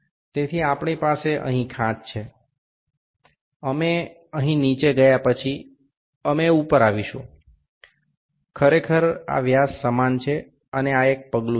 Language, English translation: Gujarati, So, we have a groove here, we step down here then we come up; actually this is this dia same and this is a step